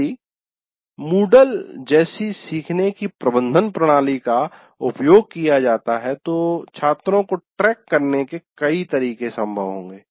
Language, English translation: Hindi, And if a learning management system like Moodle is used, many methods of tracking of students will be possible